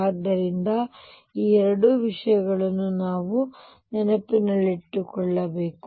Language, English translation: Kannada, So, these are two things that we keep in mind